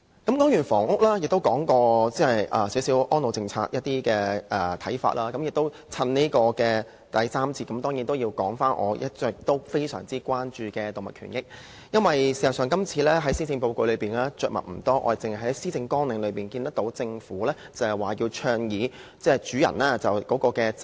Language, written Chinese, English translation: Cantonese, 討論完房屋，亦討論了對安老政策的一些看法，在第三個辯論環節，我當然要討論我一直非常關注的動物權益，因為政府今次在施政報告中對此議題實在着墨不多，我們只在施政綱領中看到政府倡議主人責任。, After discussing housing issues and some views on the elderly services policy in the third debate session I surely must discuss animal rights a subject that has been a huge concern to me all along . The Government has indeed mentioned little about this issue in the Policy Address . We only note the government advocacy of positive duty of care on animal keepers in the Policy Agenda